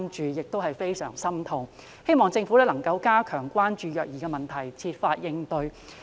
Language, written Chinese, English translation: Cantonese, 我感到非常痛心，希望政府能夠加強關注虐兒問題並設法應對。, My heart aches badly about it . I hope the Government can step up its concern about child abuse and tackle it by all means